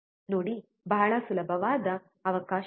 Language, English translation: Kannada, See there is a very easy provision